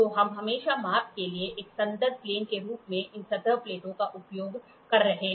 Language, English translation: Hindi, So, we always use these surface plates as a reference plane for measurements